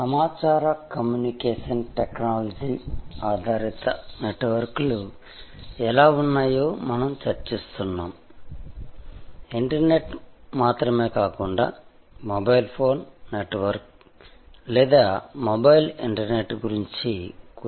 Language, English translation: Telugu, We are discussing how information communication technology based networks, not only the internet, but mobile phone network or mobile internet